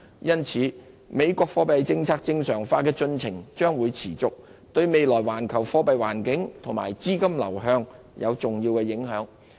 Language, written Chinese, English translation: Cantonese, 由此可見，美國貨幣政策正常化的進程將持續，對未來環球貨幣環境及資金流向產生重要影響。, It stands to reason that the normalization process of the monetary policy of the United States will continue exerting great impacts on the global monetary environment and capital flows in the future